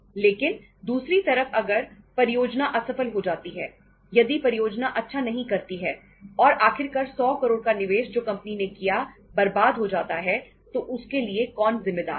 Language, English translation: Hindi, But on the other side if the project fails, if the project doesnít do well and ultimately that 100 crores investment which is made by the company goes down in the drain, who is responsible